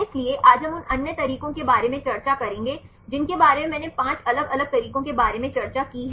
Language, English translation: Hindi, So, today we will discuss about the other methods I discussed about the 5 different methods I mentioned